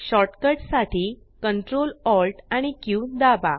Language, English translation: Marathi, For shortcut, press Ctrl, Alt Q